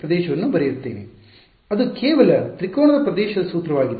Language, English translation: Kannada, That is just formula of area of triangle